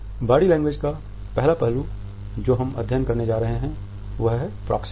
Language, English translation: Hindi, The first aspect of body language which we are going to study is Proxemics